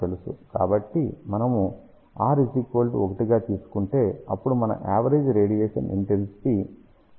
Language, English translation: Telugu, So, if we take r as 1, then we can say average radiation intensity will be p radiated divided by 4 pi